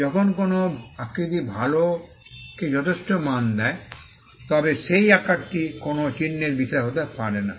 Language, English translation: Bengali, When a shape gives a substantial value to the good, then that shape cannot be a subject matter of a mark